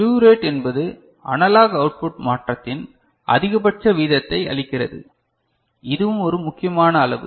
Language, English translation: Tamil, Slew rate gives maximum rate of change of analog output and this is also an important quantity ok